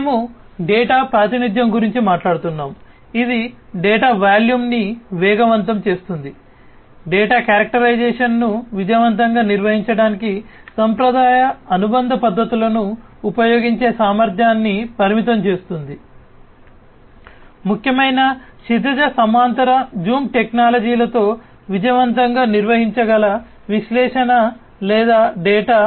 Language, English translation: Telugu, We are talking about representation of data of which acquisition speed the data volume, data characterization, restricts the capacity of using conventional associative methods to manage successfully; the analysis or the data, which can be successfully operated with important horizontal zoom technologies